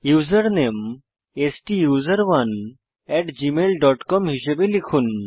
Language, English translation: Bengali, Enter the Username as STUSERONE at gmail dot com